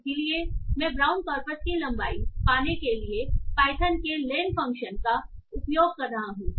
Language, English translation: Hindi, So I am using the Python length function to get the length of the brown corpus